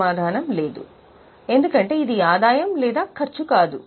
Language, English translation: Telugu, Answer is no because it is neither income nor expense